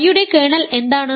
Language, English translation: Malayalam, What is kernel of phi